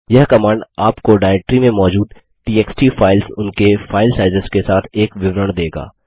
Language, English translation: Hindi, This command will give you a report on the txt files available in the directory along with its file sizes